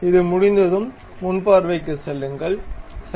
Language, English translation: Tamil, Once it is done go to frontal view, ok